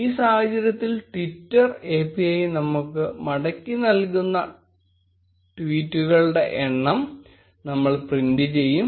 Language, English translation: Malayalam, In this case, we will print the amount of tweets, which are returned to us by the twitter API